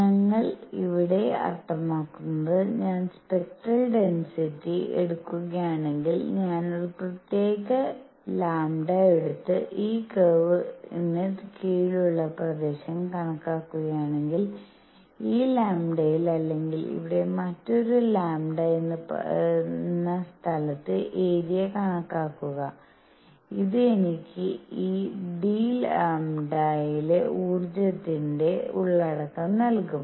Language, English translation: Malayalam, What we mean here is if I take for spectral density; if I take a particular lambda and calculate the area under this curve; at this lambda or calculate area at say another lambda out here; this would give me the energy content in this d lambda